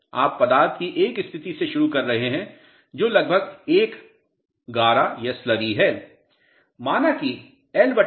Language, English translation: Hindi, You are starting from a state of material which is almost a slurry